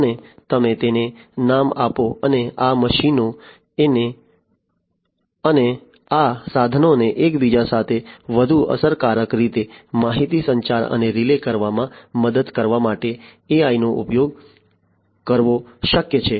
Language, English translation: Gujarati, And, you name it and it is possible to use AI in order to help these machines and these equipments communicate and relay information with one another much more efficiently